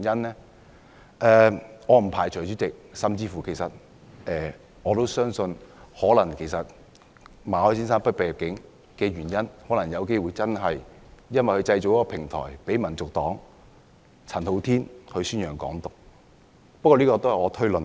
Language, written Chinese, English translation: Cantonese, 主席，我不排除甚至相信馬凱先生被拒入境的原因，可能真的是因為他製造了一個平台，讓香港民族黨的陳浩天宣揚"港獨"。, President I do not rule out and I even believe that Mr MALLETs entry was rejected because he had created a platform for Andy CHAN of HKNP to promote Hong Kong independence